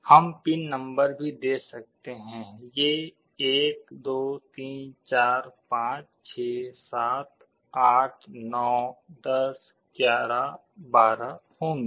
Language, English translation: Hindi, We can also give the pin numbers; these will be 1 2 3 4 5 6 7 8 9 10 11 12